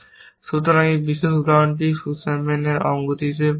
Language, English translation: Bengali, So, this particular example is known as Sussman’s anomaly